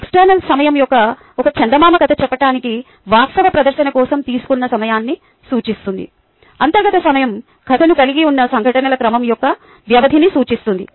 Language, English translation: Telugu, external time refers to the time taken for the actual presentation of, say, a fairy tale, whereas internal time refers to the duration of the sequence of events that constitutes the tale